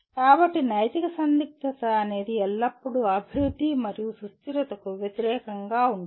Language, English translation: Telugu, So the ethical dilemma is always development versus sustainability